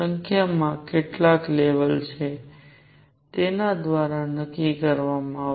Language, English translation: Gujarati, Number is going to be decided by how many levels are there